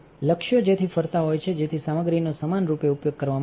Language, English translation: Gujarati, The targets are rotating so, that the material will be utilized uniformly